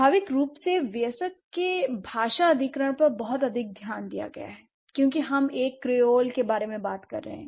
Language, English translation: Hindi, So, by default a lot of focus has been on the adult acquisition because we are talking about a creole